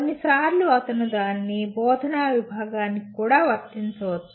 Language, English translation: Telugu, Sometimes he can also apply it to an instructional unit